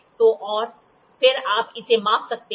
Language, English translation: Hindi, So, and then you can measure it